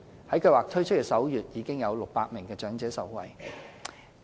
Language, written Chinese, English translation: Cantonese, 在計劃推出首月，已約有600名長者受惠。, Some 600 elderly persons benefited from the Scheme in the first month of its launch